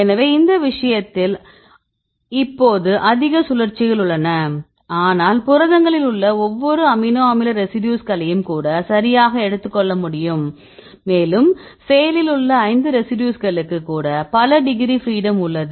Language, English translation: Tamil, So, in this case there is now much rotations, but you take the proteins right even each amino acid residue right even it is a 5 residues in the active site right there is several degree degrees of freedom